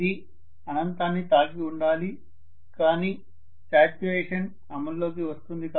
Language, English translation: Telugu, It should have hit infinity but saturation comes into effect